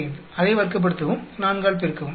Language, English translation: Tamil, 45 square multiply by 4